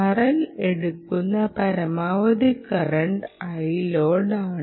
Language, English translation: Malayalam, ah, this is the maximum current